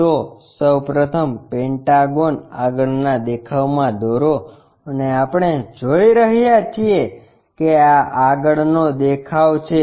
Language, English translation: Gujarati, So, first of all construct that pentagon in the front view and we are looking this is the front view